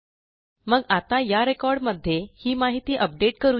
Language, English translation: Marathi, So let us, update this information into this record